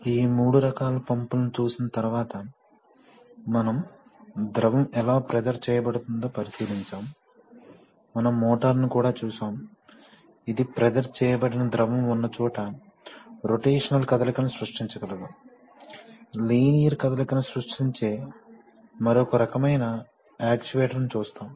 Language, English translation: Telugu, So having seen these three kinds of pumps, we would take a look at, now we will take a look at, now this, we have seen that, how the fluid is pressurized and pressurized will be generated, we have also seen the motor, which, where the pressurized fluid can be, can create a rotational motion, we will see another kind of actuator where it creates linear motion